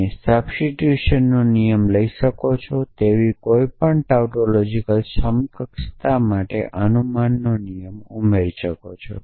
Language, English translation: Gujarati, You can add a rule of inference for any tautological equivalence you can have a rule of substitution